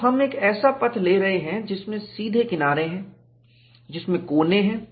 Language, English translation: Hindi, So, we are taking a path which has straight edges, which has corners, all that is permissible